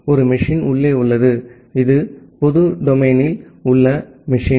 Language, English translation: Tamil, One machine is there inside and this is the machine at the public domain